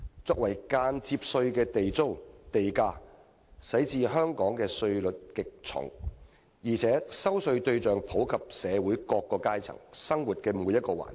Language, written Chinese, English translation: Cantonese, 作為間接稅的地租和地價令香港的稅率極重，而且徵稅對象遍及社會各階層，以及生活每個環節。, As a form of indirect taxes Government rent and land premium have pushed up our tax rate substantially not to mention that such taxes are payable by all walks of life and cover every aspect of life